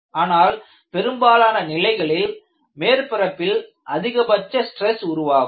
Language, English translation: Tamil, In most of the problems, maximum stress occurs at the surface